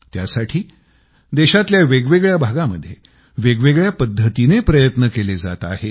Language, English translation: Marathi, For this, efforts are being made in different parts of the country, in diverse ways